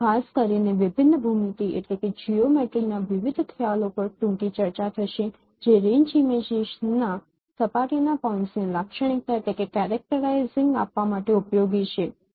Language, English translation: Gujarati, Particularly we will discuss, we will have a brief discussions on different concepts of differential geometry which are useful for characterizing the surface points of the range images